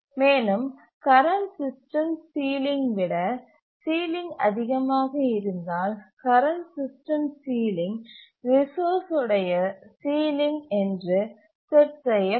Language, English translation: Tamil, And if the ceiling is greater than the current system sealing, then the current system sealing is set to the resource